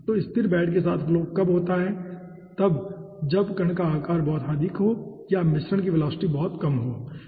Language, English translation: Hindi, so flow with stationary bed happens at very high particle size or very low mixture velocity